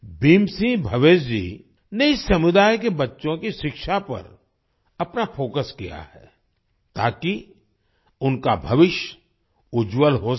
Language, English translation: Hindi, Bhim Singh Bhavesh ji has focused on the education of the children of this community, so that their future could be bright